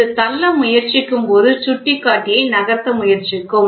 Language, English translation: Tamil, This when it tries to push this will pointer will try to move